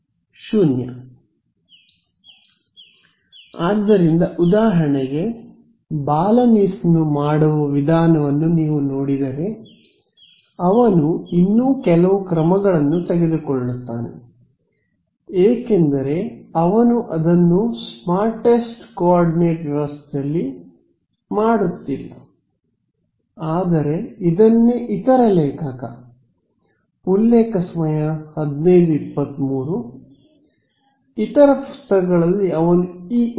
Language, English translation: Kannada, So for example, if you look at the way Balanis does it, he takes a few more steps because it is doing it in a not in the smartest coordinate system, but the other author for this is , the other book he does it in this nice way